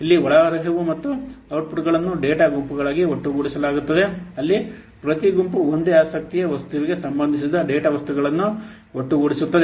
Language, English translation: Kannada, It inputs here the inputs and outputs are aggregated into data groups where each group will bring together data items that relate to the same object of interest